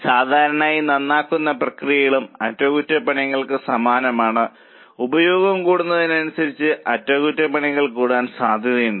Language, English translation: Malayalam, Normally repairs again similar to maintenance as the usage increase the repairs are likely to increase